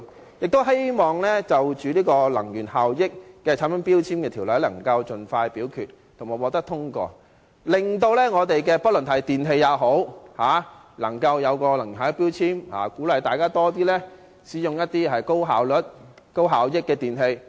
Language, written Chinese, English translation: Cantonese, 我亦希望能盡快就這項有關《能源效益條例》的決議案進行表決及通過相關修訂，令電器產品貼上能源標籤，鼓勵市民多使用高能源效益的電器。, I also hope that this resolution relating to the Energy Efficiency Ordinance can be put to the vote and the relevant amendments be passed as soon as possible so that energy efficiency labels will be affixed to electrical products to encourage the public to use more often electrical appliances with high energy efficiency